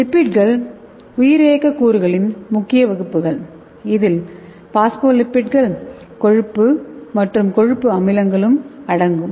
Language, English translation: Tamil, So lipids are the major class of bimolecules that includes phospholipids, cholesterols and fatty acids okay